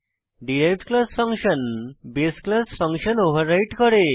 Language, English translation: Bengali, The derived class function overrides the base class function